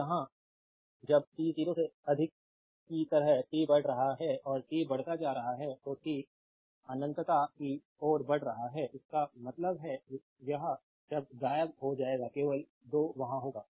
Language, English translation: Hindi, When here when t is your increasing like t greater than 0 and t is increasing say t tends to infinity right so; that means, this term will vanish only 2 will be there